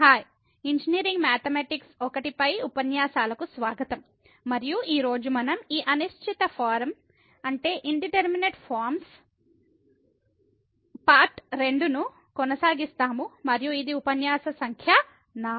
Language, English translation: Telugu, Hai, welcome to the lectures on Engineering Mathematics I and today we will be continuing this Indeterminate Form Part 2 and this is lecture number 4